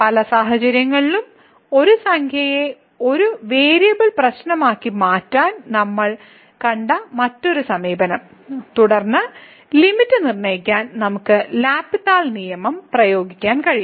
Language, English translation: Malayalam, Another approach we have seen that we can convert in many situation a number into one variable problem and then, we can apply L’Hospital’ rule for example, to conclude the limit